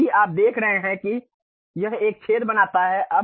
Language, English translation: Hindi, Now, if you are seeing it makes a hole ok